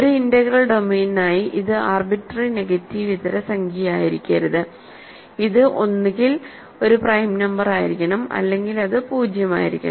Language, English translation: Malayalam, So, for an integral domain it cannot be any arbitrary non negative integer; it has to be either a prime number or it has to be; it has to be 0